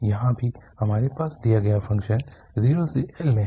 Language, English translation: Hindi, Here also we have in 0 to L the given function